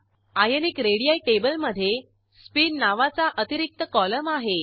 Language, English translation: Marathi, Ionic radii table has an extra column named Spin